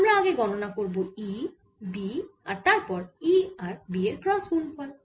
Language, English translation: Bengali, so again we have to calculate e, b and then cross product of e and b